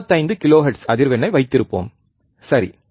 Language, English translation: Tamil, Let us keep frequency of 25 kilohertz, alright